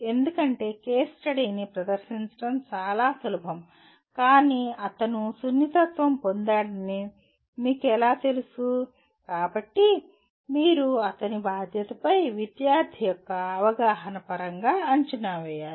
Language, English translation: Telugu, Because it is easy to present the case study but how do you know that he has been sensitized, so you have to design assessment that could be in terms of student’s perception of his responsibility